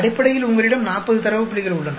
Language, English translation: Tamil, Basically you have 40 data points